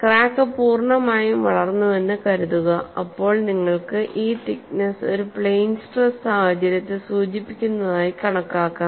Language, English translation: Malayalam, Suppose the crack has become fully grown, then you can consider this thickness as idealizing a plane stress situation